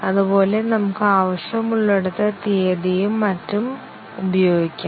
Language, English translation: Malayalam, Similarly, we can use the date wherever it is needed and so on